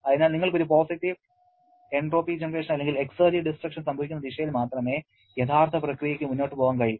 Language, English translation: Malayalam, So, real process can proceed only in the direction in which you will be having a positive entropy generation or exergy destruction